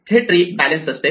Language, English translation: Marathi, This tree will be balanced